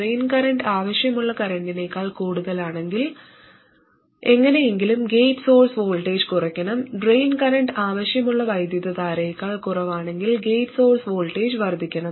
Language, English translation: Malayalam, If the drain current is more than the desired current, somehow the gate source voltage must reduce and if the drain current is less than the desired current, the gate source voltage must increase